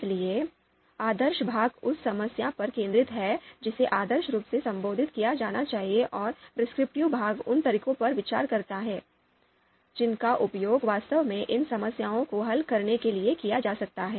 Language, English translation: Hindi, So the normative part focuses on the problem that should be ideally addressed and the prescriptive parts considers methods that could actually be used to solve these problems